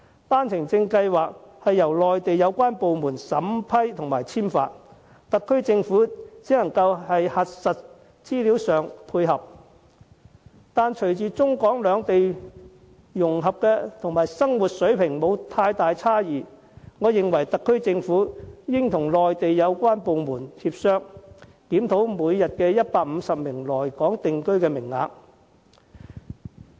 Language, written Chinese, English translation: Cantonese, 單程證是由內地有關部門審批和簽發，特區政府只能在核實資料上作出配合，但隨着中港兩地融合和生活水平差異減少，我認為特區政府應與內地有關部門協商，檢討每天150個來港定居的名額。, The One - way Permit arrangement is administered by the relevant Mainland authorities who approve and issue the permits whilst the HKSAR Government can only verify the information on the permits in support . However with the integration of China and Hong Kong and narrowing of the gap between the standards of living in the two places I think the HKSAR Government should discuss with the relevant Mainland authorities on reviewing the daily quota of 150 arrivals